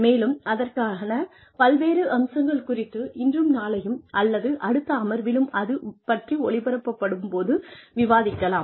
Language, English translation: Tamil, And, various aspects to it, will be discussed in the session, today and tomorrow, or in the next session, whenever it is aired